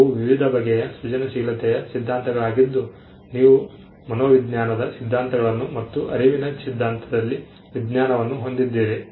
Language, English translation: Kannada, They were various theories on creativity you had psychology theories in psychology and theories in cognitive science as well